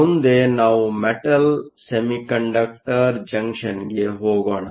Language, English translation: Kannada, Next, let us move to a Metal Semiconductor Junction